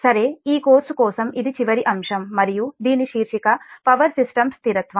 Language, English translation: Telugu, ok, so for this course this is the last topic and the title of this is power system stability